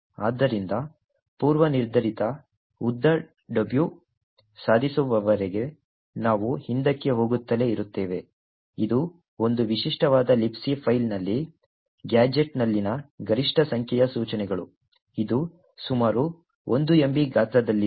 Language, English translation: Kannada, So, we keep going backwards until a predefined length W is achieved, which is the maximum number of instructions in the gadget in a typical libc file which is about 1 megabyte in size